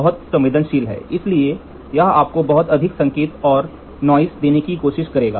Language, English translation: Hindi, Too sensitive, so it will try to give you lot of signal and noise